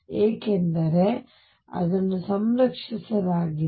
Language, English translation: Kannada, Because it is conserved